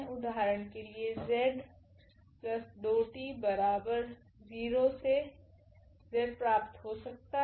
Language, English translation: Hindi, So, for example, the z form this equation z plus 2 t is equal to 0